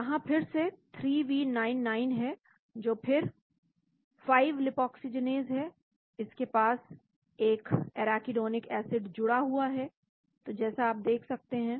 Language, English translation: Hindi, There is again 3V99 , that is again 5 lipoxygenase , it is got an arachidonic acid attached to this, so we can see